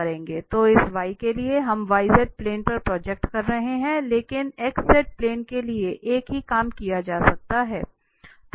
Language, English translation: Hindi, So that is for y, we are projecting on y z plane but same thing can be done for x z